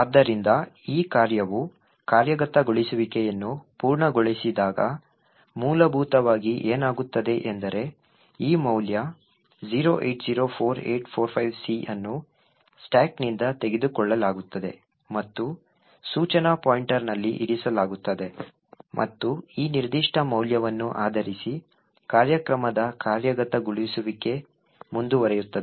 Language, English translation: Kannada, So, essentially what would happen when this function completes execution is that this value 0804845C gets taken from the stack and placed into the instruction pointer and execution of the program will continue based on this particular value